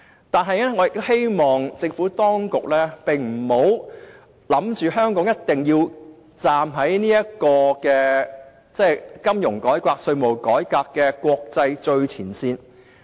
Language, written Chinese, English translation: Cantonese, 我亦希望政府當局不要以為，香港一定要站在金融改革、稅務改革的國際最前線。, I also hope that the Administration will not have the idea that Hong Kong must stand at the forefront in the world in respect of financial reform and tax reform